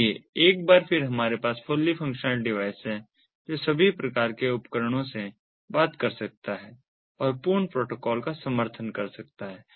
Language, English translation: Hindi, so once again we have the fully functional device, which can talk to all types of devices and can support full protocols